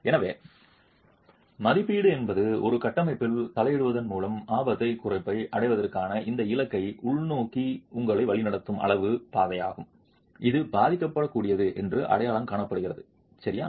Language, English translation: Tamil, And therefore, assessment is the quantitative pathway that leads you to this goal of achieving risk reduction by intervening on a structure which is identified to be vulnerable